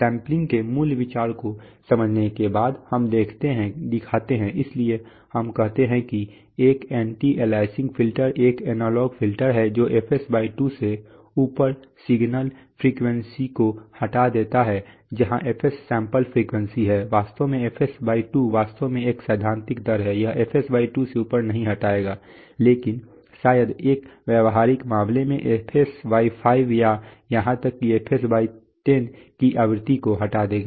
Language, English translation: Hindi, Having understood the basic idea of sampling, we show the, so we say that an anti aliasing filter is an analog filter that removes signal frequencies above fs/2 where fs is the sample frequency, actually the fs/2 is actually a theoretical rate, it will not remove above fs/2 but would perhaps in a practical case remove frequency of fs/5 or even fs/10